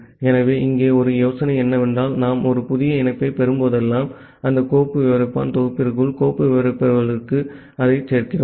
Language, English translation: Tamil, So, here the idea is that whenever we are getting a new connection, we are adding it a inside the file descriptor inside that file descriptor set